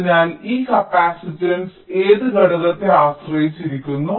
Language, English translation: Malayalam, so on what factor does this capacitance depend